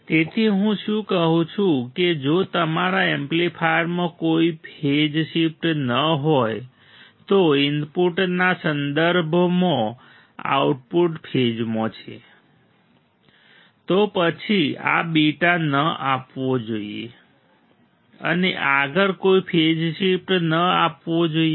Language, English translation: Gujarati, So, what I am saying is if your amplifier has no phase shift the output is in phase with respect to input; then this beta should not give should not give any further phase shift